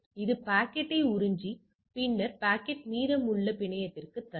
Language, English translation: Tamil, So, it absorbs the packet and then push the packet to the rest of the network